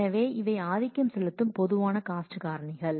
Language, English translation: Tamil, So, these are the typical cost factors that will dominate